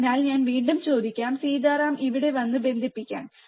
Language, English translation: Malayalam, So, I will ask again Sitaram to come here and connect it